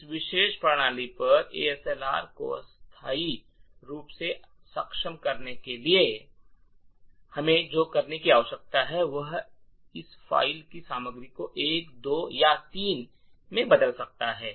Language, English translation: Hindi, In order to enable ASLR on this particular system temporally what we need to do is change the contents of this file to either 1, 2, or 3